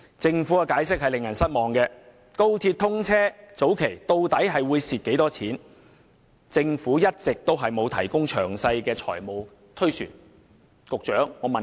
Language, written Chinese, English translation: Cantonese, 政府的解釋令人十分失望，對於高鐵在通車初期的虧蝕情況，一直沒有提供詳細的財務推算。, The response of the Government was very disappointing and no detailed financial projection has been provided regarding the loss to be incurred by XRL at the initial stage of commissioning